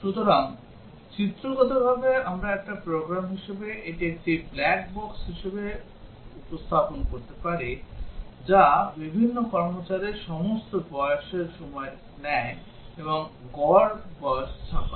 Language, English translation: Bengali, So, pictorially we can have represent it as a program a black box which takes all the ages of various employees, and prints out the average age